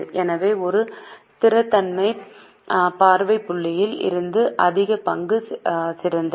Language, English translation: Tamil, So, from a stability viewpoint, higher equity is better